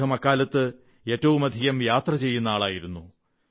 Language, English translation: Malayalam, He was the widest travelled of those times